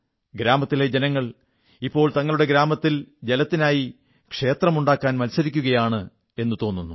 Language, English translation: Malayalam, And it seems that the denizens of the villages have become involved in the competition for raising a 'water temple,' in their respective villages